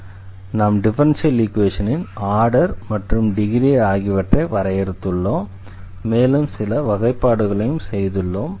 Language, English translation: Tamil, So, we have defined the order and also the degree of the differential equation and also some classification we have done